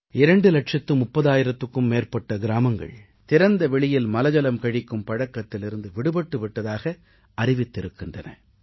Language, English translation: Tamil, More than two lakh thirty thousand villages have declared themselves open defecation free